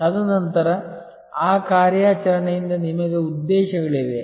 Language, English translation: Kannada, And then therefore, out of that mission you have objectives